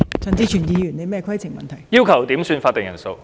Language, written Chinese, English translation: Cantonese, 陳志全議員要求點算法定人數。, Mr CHAN Chi - chuen requested a headcount